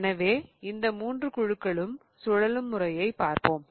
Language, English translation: Tamil, So, we just look at the way these three groups are rotating